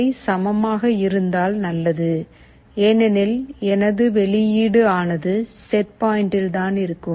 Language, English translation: Tamil, If they are equal it is fine, as my output is just at the set point